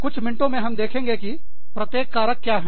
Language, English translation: Hindi, We will see in a minute, what each of these are